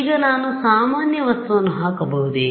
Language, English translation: Kannada, Now can I put an ordinary material